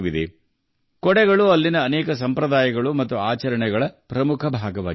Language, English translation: Kannada, Umbrellas are an important part of many traditions and rituals there